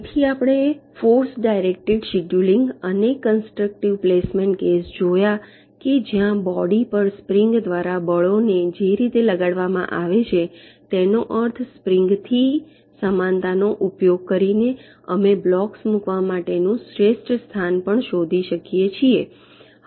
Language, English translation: Gujarati, so we have seen the ah force directed scheduling and constructive placement case where, using means, analogy from springs, the way forces are exerted by springs on a body, we can also find out the best location to place the blocks